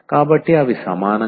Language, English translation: Telugu, So, they are not equal